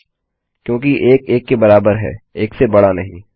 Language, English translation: Hindi, False, because 1 is equal to 1 and not greater than 1